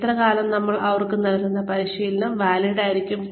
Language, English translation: Malayalam, And, how long will the training, we give them be valid